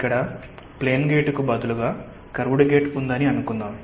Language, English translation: Telugu, let us say that you have a curved gate instead of a plane gate